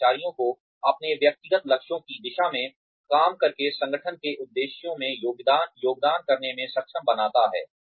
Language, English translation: Hindi, Enables employees to contribute towards the aims of the organization, by working towards their individual goals